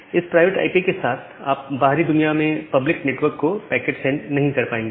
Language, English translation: Hindi, Now, with this private IP, you will not be able to send a send a packet to the outside world to the public network